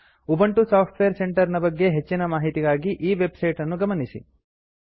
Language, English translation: Kannada, For more information on Ubuntu Software Centre,Please visit this website